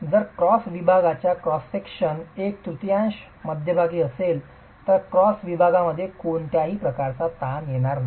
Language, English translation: Marathi, If it is within the middle one third of the cross section then there is no tension in the cross section